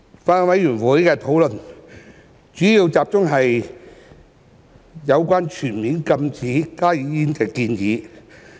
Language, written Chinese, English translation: Cantonese, 法案委員會的討論，主要集中於有關全面禁止加熱煙的建議。, Discussions of the Bills Committee have mainly focused on proposals relating to the full ban of HTPs